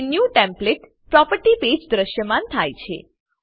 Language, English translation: Gujarati, It will be displayed on the New template property page